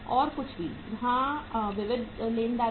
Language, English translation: Hindi, Anything else, yes sundry creditors